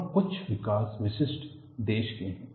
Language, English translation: Hindi, And certain developments are country specific